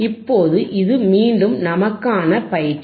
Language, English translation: Tamil, Now, this is our exercise again